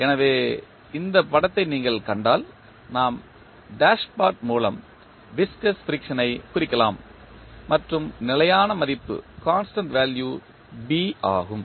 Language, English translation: Tamil, So, if you see this figure we represent the viscous friction with the dashpot and the constant value is B